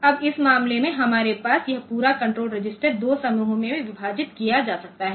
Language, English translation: Hindi, Now in this case, we have this entire control register can be divided into 2 groups